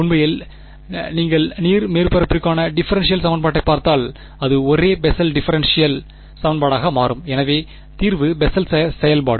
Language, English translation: Tamil, Actually if you look at the differential equation for the water surface it turns out to be the same Bessel differential equation so the solution is Bessel function